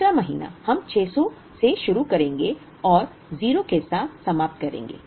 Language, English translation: Hindi, Second month we would begin with 600 and end with 0